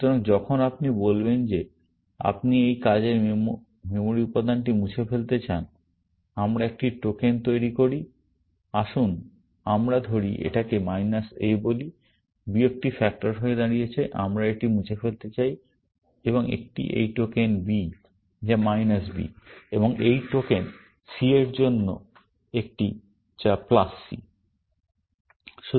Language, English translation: Bengali, So, when you say you want to delete this working memory element, we generate a token; let us say we call it minus a; minus stands for the factor we want to deleting it, and one for this token b, which is minus b, and one for this token c, which is plus c